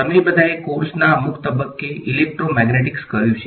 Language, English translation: Gujarati, All of you have done Electromagnetics at some point in the course